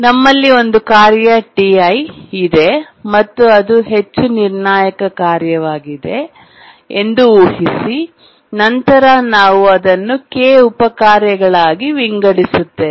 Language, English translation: Kannada, Now let's assume that we have a task T I and we know that it is a highly critical task and then we split it into K subtasks